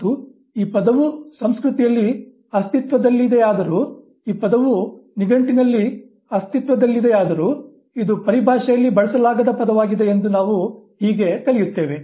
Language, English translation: Kannada, Although this word exists in the culture, although this word exists in the dictionary, this is a non usable type of terminology